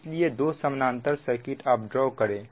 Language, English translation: Hindi, it is a parallel circuit, so current